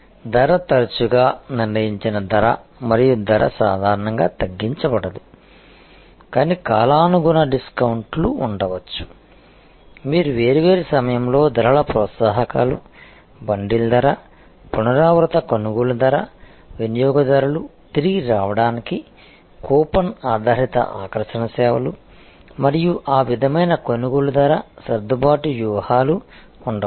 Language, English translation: Telugu, Price often actually a prices set and price is not normally reduced, but there can be seasonal discounts, you can give different times of pricing incentives, bundle pricing, repeat purchase pricing, coupon based attraction to the customer to come back and a purchase that sort of price adjustment strategies can be there